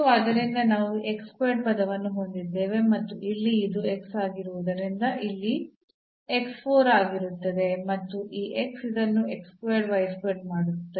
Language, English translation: Kannada, So, here the x was there, so we have x square term and then here since this is x, so x 4 will be there and this x will make this x square y square